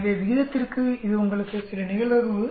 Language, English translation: Tamil, So for the ratio it gives you some probability 0